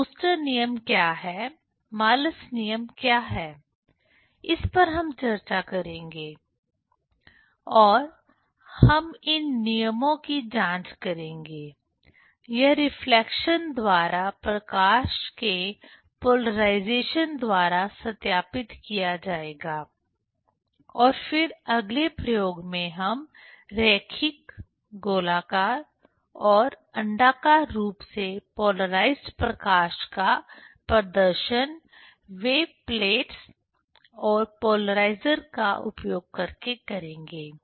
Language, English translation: Hindi, So, what is Brewster s law, what is Malus law, that we will discuss and we will verify these laws; that will be verified by the polarization of light by reflection and then next experiment we will demonstrate the linearly, circularly and elliptically polarized light using the wave plates and polarizers